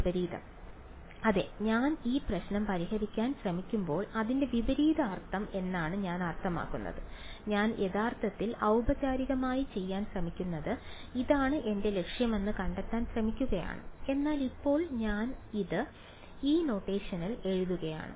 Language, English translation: Malayalam, Yeah, I mean its opposite means when I am trying to solve this problem what I am actually formally trying to do is I am trying to find out this is my objective right, but I can I am writing it in this notation for now ok